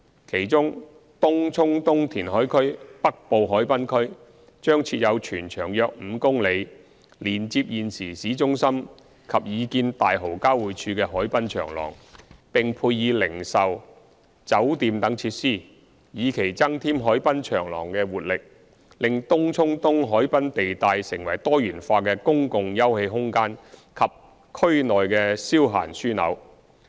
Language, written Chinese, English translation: Cantonese, 其中，東涌東填海區北部海濱區，將設有全長約5公里、連接現時市中心及擬建大蠔交匯處的海濱長廊，並配以零售、酒店等設施，以期增添海濱長廊的活力，令東涌東海濱地帶成為多元化的公共休憩空間及區內消閒樞紐。, The northern waterfront at TCE will provide a 5 km long waterfront promenade that connects with the existing town centre and the proposed Tai Ho Interchange . Retail and hotel facilities will be offered at the TCE waterfront to increase vibrancy and make it a diversified public open space and leisure hub